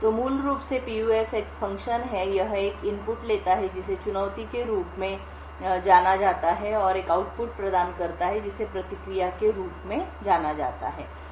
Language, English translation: Hindi, So, basically a PUF is a function, it takes an input known as challenge and provides an output which is known as the response